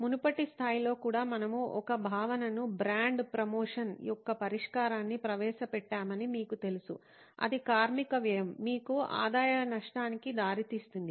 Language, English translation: Telugu, That, you know even at the earlier level we introduced a concept, a solution of brand promotion and that led to labour cost, revenue loss for you